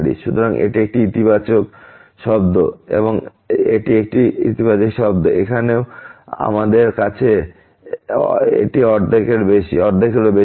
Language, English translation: Bengali, So, this is a positive term, this is a positive term and here also we have this is greater than half